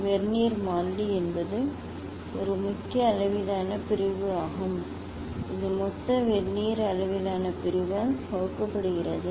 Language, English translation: Tamil, Vernier constant is 1 main scale division divided by total Vernier scale division